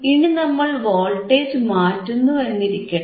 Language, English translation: Malayalam, Now, we have to apply the input voltage